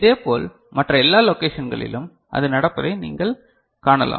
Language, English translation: Tamil, Similarly, for every other location you can see that is happening